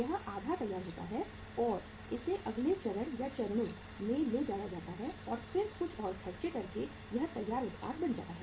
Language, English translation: Hindi, It is half finished and it will be taken to the next stage or stages and then by incurring some more expenses it will become the finished product